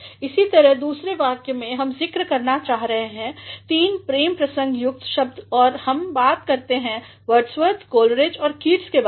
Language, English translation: Hindi, Likewise, in the other sentence also we are going to mention about three romantic words and we talk about Wordsworth, Coleridge and Keats